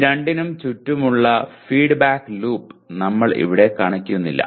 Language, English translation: Malayalam, We are not showing the feedback loop around this to here or around this to here